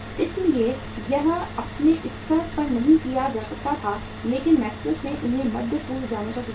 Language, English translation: Hindi, So it could not be done at their own level but McKenzie then suggested them to go to Middle East